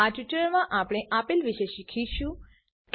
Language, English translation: Gujarati, In this tutorial we will learn, Classes